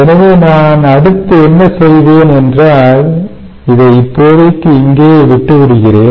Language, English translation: Tamil, ok, so what i will do next is i will just leave it here for the time being